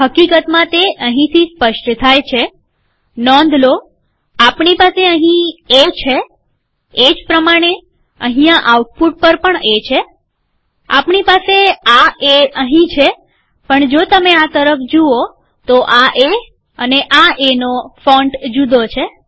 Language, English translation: Gujarati, In fact it is clear from here, Note that, we have A here as well as here on output though we have this A here but if you look at this, this A, the font of A is different